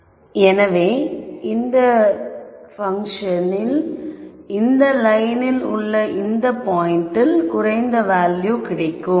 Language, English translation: Tamil, So, that basically means this function takes a lower value at this point on the line